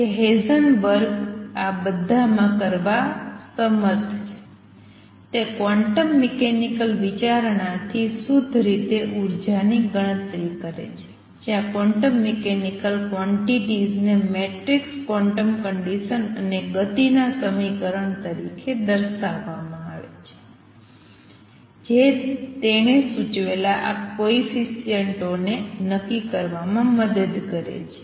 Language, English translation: Gujarati, So, that comes out correctly and the energy has 0 point energy what Heisenberg has been able to do in all this is calculate the energy purely from quantum mechanical considerations, where the quantum mechanical, quantities are expressed as matrices quantum conditions and equation of motion help you determine these coefficients that he proposed